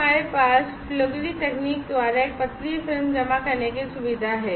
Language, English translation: Hindi, So, we have the facility to deposit a thin film by flugery technique